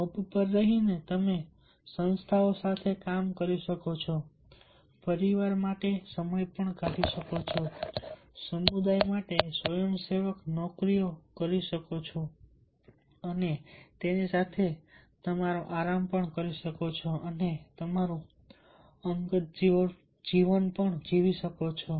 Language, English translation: Gujarati, staying on the job, you can do in the work in the organizations, find time for the family, do the volunteering job, do the volunteer jobs for the community and also have a leisure and your personal life